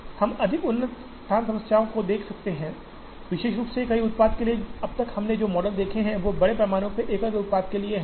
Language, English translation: Hindi, We could also look at more advanced location problems, particularly for multiple products, so far the models that we have seen, are largely for single products